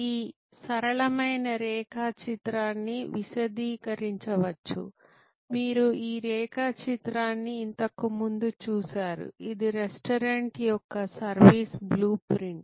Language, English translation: Telugu, This simple diagram can be elaborated, which you have seen this diagram before, which is the service blue print of a restaurant